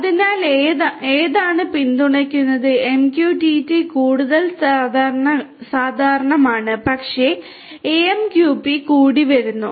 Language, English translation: Malayalam, So, which ones are supported MQTT is more common, but then AMQP is also coming and so on